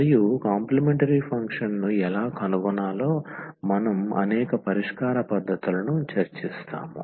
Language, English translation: Telugu, And we will discuss many solution techniques how to find complementary function